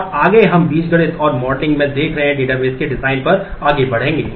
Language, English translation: Hindi, And next we will move onto the design of the database looking into the algebra and the modelling